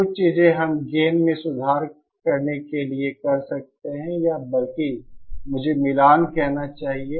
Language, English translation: Hindi, Some things we can do to improve the gain or rather I should say the matching